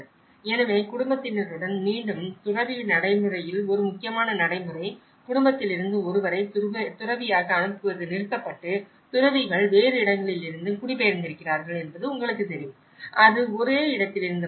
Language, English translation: Tamil, So, again an important practice of monk practice with the family you know, sending a person from the family to become a monk has been discontinued and the monks have been migrated from other places, you know, it is not just from the same place